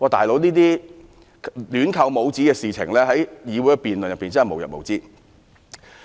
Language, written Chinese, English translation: Cantonese, "老兄"，這種亂扣帽子的行為在議會辯論中真的無日無之。, This kind of indiscriminate labelling is really too common in our Council debates